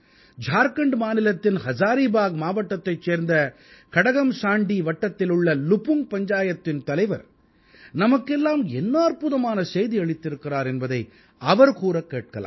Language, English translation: Tamil, Come let's listen to what the Sarpanch of LupungPanchayat of Katakmasandi block in Hazaribagh district of Jharkhand has to say to all of us through this message